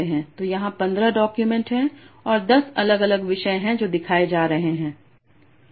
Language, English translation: Hindi, So there are 15 documents here that are being shown and there are 10 different topics